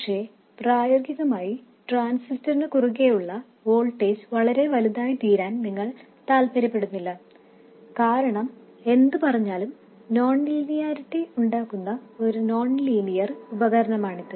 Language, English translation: Malayalam, But in practice, you also don't want the voltage across the transistor to become very large because it's after all a nonlinear device and that will cause non linearities